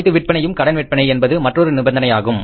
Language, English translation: Tamil, All sales are on credit and another important condition